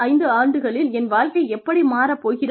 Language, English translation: Tamil, I am worried about, how my life will shape up, in the next five years